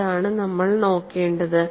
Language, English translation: Malayalam, That is what, we have to look at it